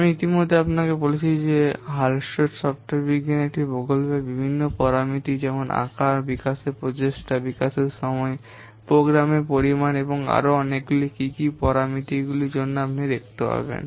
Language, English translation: Bengali, I have already told you that Hullstreet software science is an analytical technique for what to estimate different parameters of a project so that the size, the development effort, development time, the program volume and so many other things you will see for what parameters it can be used to estimate